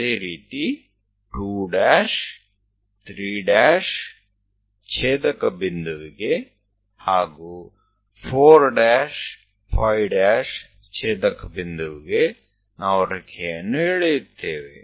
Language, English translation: Kannada, Similarly, a 2 dash, 3 dash intersecting point, 4 dash, 5 dash we will draw